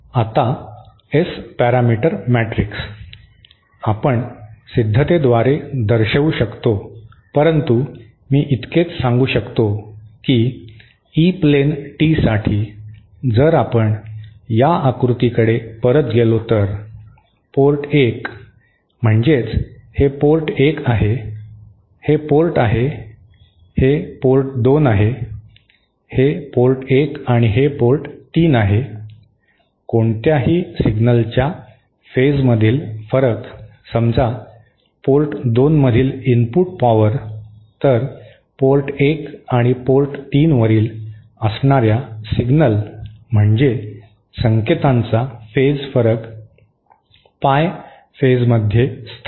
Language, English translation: Marathi, Now the S parameter matrix, we can show by a derivation but I can just simply state it that for an E plane tee, if we go back to this figure, the phase difference between say this is port 1, this is port, this is port 2, this is port 1 and this is port 3, the phase difference between any signal exiting suppose the input power at port 2, then the phase difference of the exiting signals at port 1 and port 3 will be Pie phase shifted